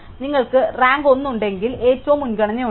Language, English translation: Malayalam, So, if you have rank 1 then you have highest priority